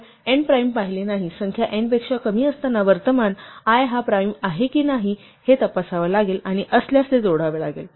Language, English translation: Marathi, Now so long as we have not seen n primes, while count is less than n, we have to check whether the current i is a prime and if so, add it